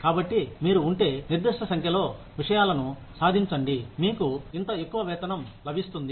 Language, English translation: Telugu, So, if you achieve a certain number of things, you will get this much pay